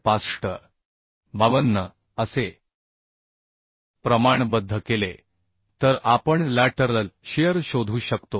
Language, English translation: Marathi, 52 so by proportioning we can find out the lateral shear that is 17